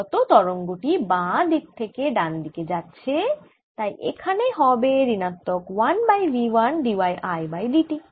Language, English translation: Bengali, incident wave is coming from left to right and therefore this is minus one over v one d y i by d t